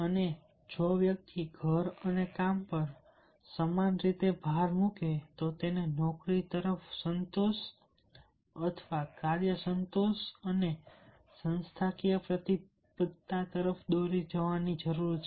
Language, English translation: Gujarati, and if the person emphasizes equal on home and work, they need to lead to job satisfaction, work satisfaction and organization commitment